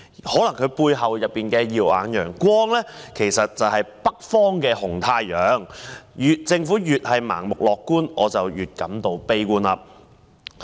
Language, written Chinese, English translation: Cantonese, 也許他背後的"耀眼陽光"是北方的紅太陽，但政府越是盲目樂觀，我便越是悲觀。, Perhaps the silver lining behind him is the red sun in the north but the more blindly optimistic the Government becomes the more pessimistic I am